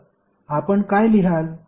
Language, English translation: Marathi, So, what you will write